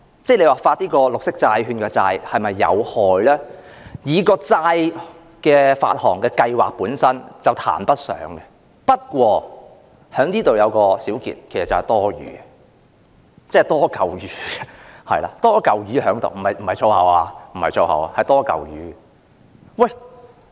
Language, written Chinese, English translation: Cantonese, 若要說發行綠色債券是否有害，發行債券的計劃本身談不上有害，但我在這裏作一個小結，其實此舉是多餘的，即"多嚿魚"——這不是粗言——是"多嚿魚"。, Speaking of whether green bond issuances will do any harm the plan to issue bonds itself cannot be regarded as harmful . However let me make a brief conclusion here it is in fact unnecessary―that is redundant―this is not a swear word I am just saying that it is redundant